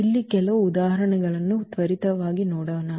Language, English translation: Kannada, So, now let us just quickly go through some examples here